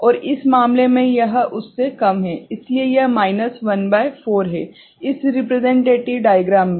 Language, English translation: Hindi, And in this case it is less than that, so this is minus 1 by 4 in this representative diagram ok